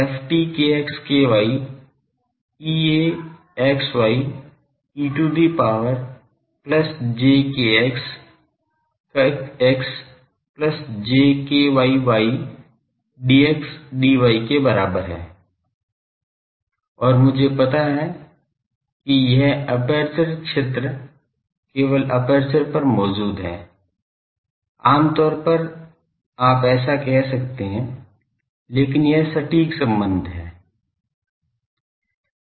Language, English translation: Hindi, ft kx ky is equal to E a x y e to the power plus j kx x plus j ky y dx dy and I know that, this aperture field exist only over the aperture, generally, you can say so, but this is the exact expression